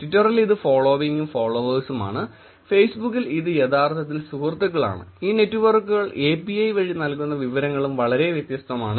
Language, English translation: Malayalam, In twitter it is followers and following and Facebook, it is actually friends and the information that these networks provide through API are also very different